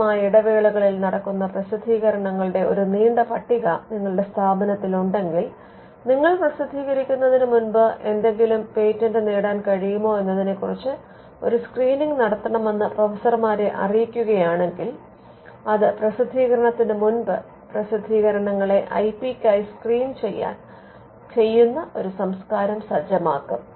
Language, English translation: Malayalam, So, if some if the institute has a long list of publications happening at regular intervals and if the professors are informed that before you publish you have to actually do a screening on whether something can be patented then that will set a culture where the publications before they get published are also screened for IP